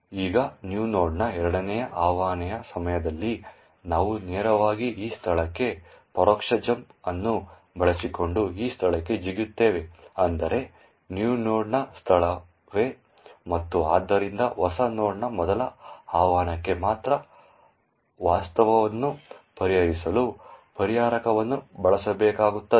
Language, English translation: Kannada, Now, during the second invocation of new node we would directly jump using this indirect jump to this location, that is, the location of new node itself and therefore only the first invocation of new node would actually require the resolver to be used in order to resolve the actual address of the new node function